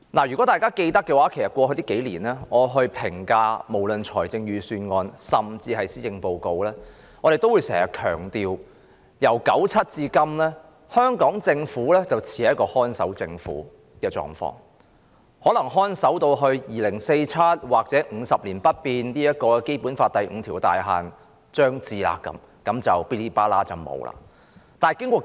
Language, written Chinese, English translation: Cantonese, 如果大家記得，我在過去數年評價預算案甚至施政報告時，也經常強調由1997年至今，香港政府似是屬於"看守政府"的狀況，可能會看守至2047年或《基本法》第五條有關50年不變的"大限"將至時，便會完結。, You may recall that since 1997 I have often stressed that the Hong Kong Government has been acting like a caretaker government . It may continue to play this role until 2047 or the approach of the expiry date stipulated in Article 5 of the Basic Law which provides that the status quo shall remain unchanged for 50 years